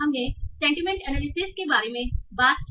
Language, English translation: Hindi, So we talked about sentiment analysis